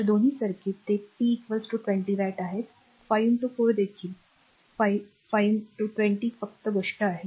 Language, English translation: Marathi, So, both the circuit it is p is equal to 20 watt 5 into 4 here also 5 into 20 only thing is that